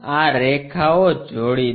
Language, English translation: Gujarati, Join these lines